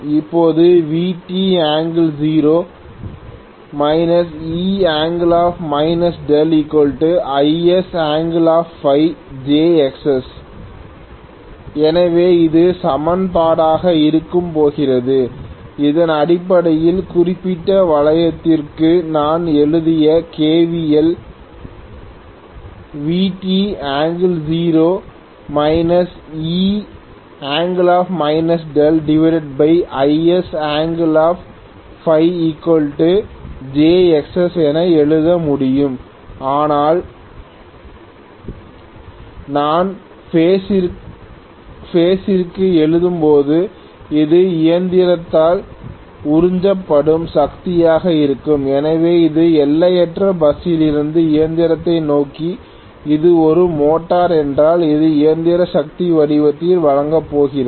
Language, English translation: Tamil, So this is going to be the equation which is essentially the kVL I have written for this particular loop, so I can write Vt angle 0 minus E angle minus delta divided by Is angle phi equal to j Xs but when I write the power per phase I can write V multiplied by Is multiplied by Cos phi, this is going to be the power that is being absorbed by the machine, so this is transported from the infinite bus towards the machine if it is a motor and it is going to deliver it in the form of mechanical power